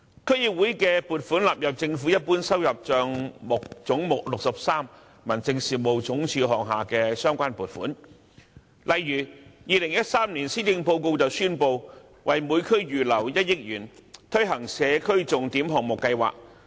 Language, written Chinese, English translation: Cantonese, 區議會的撥款納入政府一般收入帳目總目63民政事務總署下的相關撥款，例如2013年施政報告宣布為每區預留1億元，推行社區重點項目計劃。, The provisions for DCs are incorporated into the Governments General Revenue Account under Head 63 Home Affairs Department . In the 2013 Policy Address for instance it was announced that 100 million was earmarked for each district to implement the Signature Project Scheme SPS